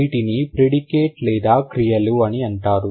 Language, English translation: Telugu, These are the predicates or the verbs